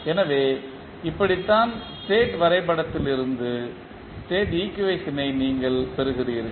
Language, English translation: Tamil, So, this is how you will get the state equation from the state diagram